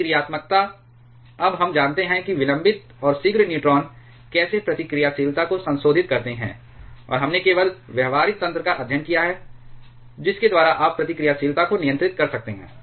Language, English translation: Hindi, Reactivity we now know the how the delayed and prompt neutrons modify the reactivity, and we have also just studied the practical mechanisms by which you can control the reactivity